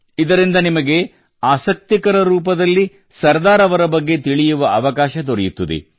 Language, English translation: Kannada, By this you will get a chance to know of Sardar Saheb in an interesting way